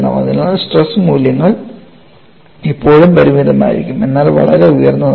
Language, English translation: Malayalam, So, the stress values will still be finite, but very high